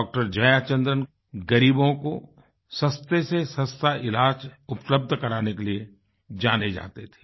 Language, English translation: Hindi, Jayachandran was known for his efforts of making the most economical treatment possible available to the poor